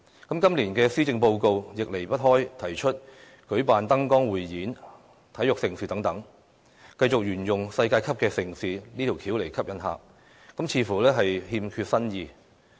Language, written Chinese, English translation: Cantonese, 今年的施政報告，亦仍然提出舉辦燈光匯演、體育盛事等，繼續沿用舉辦世界級盛事的手法來吸引旅客，似乎欠缺新意。, Following that same old approach of attracting visitors with world - class events this years Policy Address still proposes that we hold light shows and large - scale sports events . Devoid of novelty this approach is nothing to write home about